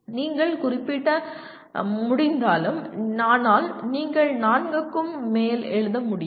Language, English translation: Tamil, And whether you can capture but you cannot write more than four